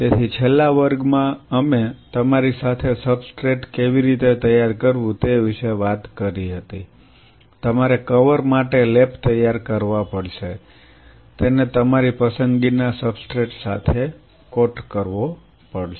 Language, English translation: Gujarati, So, in the last class we talked to you about how to prepare substrate you have to prepare the cover slaves, have to coat them with substrate of your choice